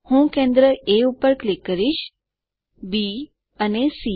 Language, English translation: Gujarati, I click on A the centre, B and C